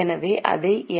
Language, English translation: Tamil, So what it can be